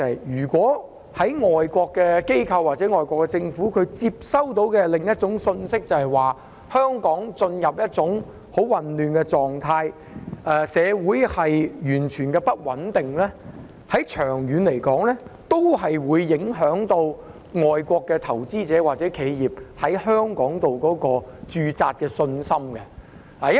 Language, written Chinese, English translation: Cantonese, 如果外國機構或外國政府接收到的是另一種信息，即香港進入了一種很混亂的狀態，社會完全不穩定，長遠來說，也會影響外國投資者或企業在香港駐扎的信心。, If the message that foreign organizations or foreign governments get is that Hong Kong has run into a most chaotic situation and society is totally unstable in the long run this will also affect the confidence of foreign investors or corporations in stationing in Hong Kong